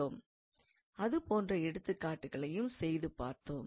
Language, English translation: Tamil, So, we did some examples like that as well